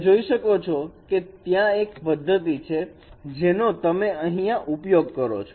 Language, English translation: Gujarati, You can see that that is a trick we are using here